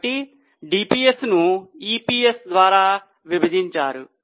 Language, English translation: Telugu, So, DPS divided by EPS